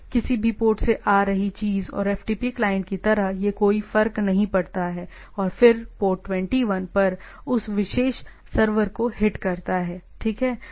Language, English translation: Hindi, sort of thing and the FTP client coming out from any port, it does not matter and then hits to that particular server at port 21, right